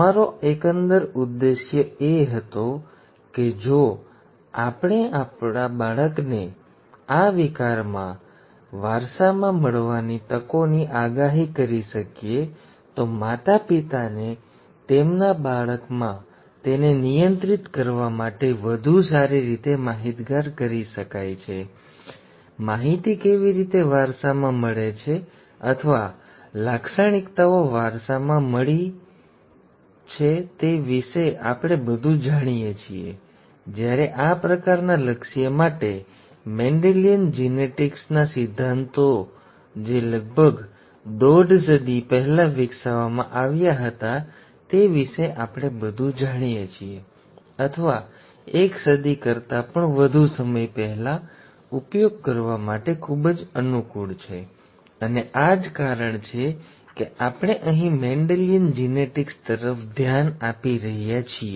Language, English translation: Gujarati, Our overall aim was that if we can predict a child’s chances to inherit the disorder, the parents can be better informed to handle it in their child, we know quite a bit about the way the information is inherited or the , the characteristics are inherited and so on, whereas for this kind of an aim, the principles of Mendelian Genetics which were developed about a century and a half ago, or more than a century ago, are very convenient to use; and that is the reason why we are looking at Mendelian Genetics here